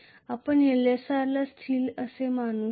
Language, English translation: Marathi, How can you assume Lsr to be a constant